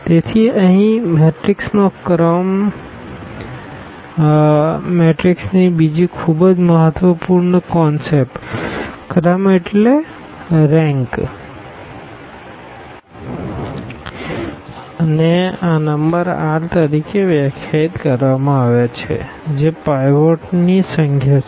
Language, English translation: Gujarati, So, here the rank of the matrix another very important concept of a matrix is defined as this number r which is the number of the pivots